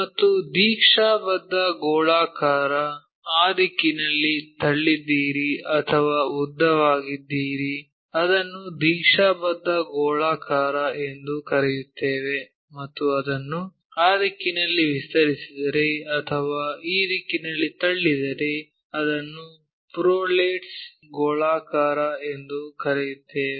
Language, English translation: Kannada, And, oblate you will have pushed in this direction elongates in that direction we call oblate spheroids, and if it is extended in that direction pushed in this direction we call that as prolates spheroids